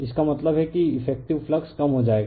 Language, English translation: Hindi, That means, effective flux will be getting reduced